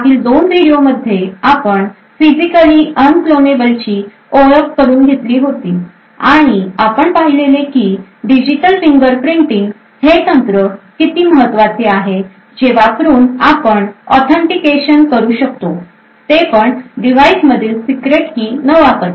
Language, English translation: Marathi, So in the previous 2 video lectures we had an introduction to physically unclonable functions and we had seen that it is a essentially a technique digital fingerprinting technique that is used to achieve things like authentication without using secret keys stored in a device